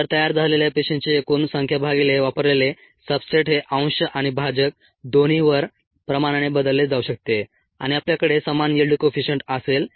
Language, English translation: Marathi, so the amount of cells produced by the amount of substrate consumed can be replaced, on both the numerator and the denominator, by the concentrations and we would have the same yield coefficient